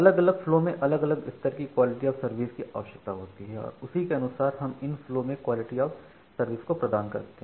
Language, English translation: Hindi, Now, different flows require different levels of quality of service and accordingly we need to provide quality of service to those flows